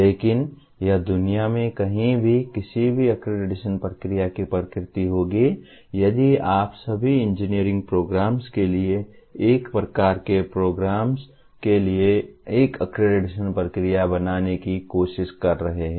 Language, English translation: Hindi, But, that will be the nature of any accreditation process anywhere in the world if you are trying to create one accreditation process for one kind of programs namely for all engineering programs